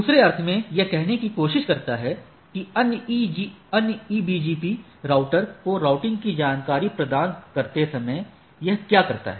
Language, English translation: Hindi, In other sense what it tries to say that, while advertising that routing information to the other EBGP routers, so what it does